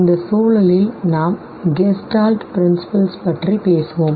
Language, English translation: Tamil, And in this context, we would be talking about the gestalt principles